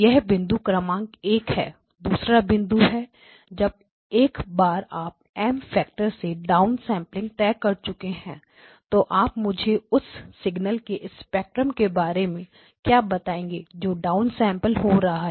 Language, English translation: Hindi, That is point number one, the second point is once you have fixed your down sampling by a factor of M what can you tell me about the spectrum of the signals going into the down sampling